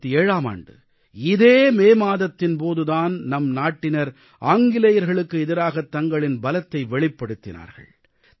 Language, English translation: Tamil, This was the very month, the month of May 1857, when Indians had displayed their strength against the British